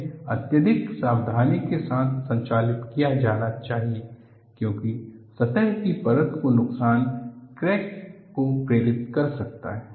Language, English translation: Hindi, This should be conducted with extreme caution since, damage to the surface layer may induce cracking